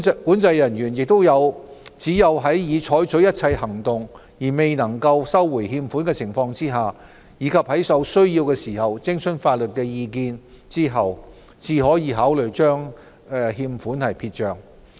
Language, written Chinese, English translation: Cantonese, 管制人員只有在已採取一切行動而仍未能收回欠款的情況下，以及在有需要時徵詢法律意見後，才可考慮將欠款撇帳。, COs should consider writing off the receivables only after all exhaustive actions taken to recover the amounts have failed and upon seeking the necessary legal advice